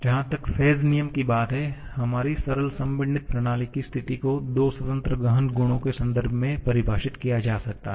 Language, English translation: Hindi, As far the phase rule, the state of our simple compressible system can be defined in terms of two independent intensive properties